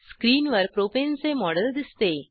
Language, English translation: Marathi, The Model of Propane appears on screen